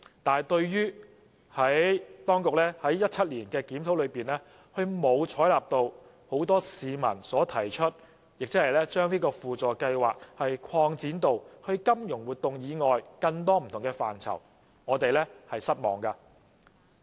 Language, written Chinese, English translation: Cantonese, 但是，對於當局在2017年的檢討中，並沒有採納市民提出的建議，把輔助計劃擴展至金融活動以外的不同範疇，我們表示失望。, However we are disappointed that the Administrations review in 2017 did not accept the proposal of the public to expand SLAS to various areas other than financial activities